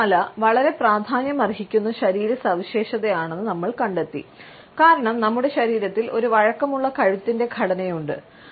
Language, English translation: Malayalam, We find that our head is a very significant body feature, because we have a flexible neck structure